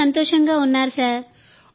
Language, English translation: Telugu, Very very happy sir